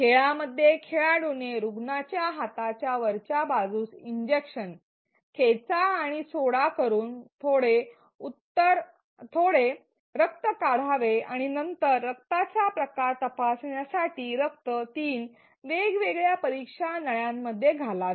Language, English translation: Marathi, In the game the player has to drag and drop the syringe on top of the patient arm draw some blood and then put the blood in three different test tubes, to check the blood type